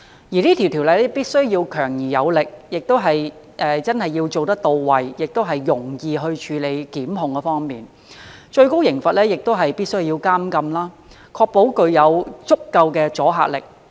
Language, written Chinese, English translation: Cantonese, 這項條例必須強而有力，並且實行時真的到位，在檢控方面亦要容易處理，最高刑罰必須是監禁，以確保具有足夠阻嚇力。, This ordinance must be forceful and really to the point when implemented . It must facilitate the prosecution process and the maximum penalty must be imprisonment so as to ensure sufficient deterrence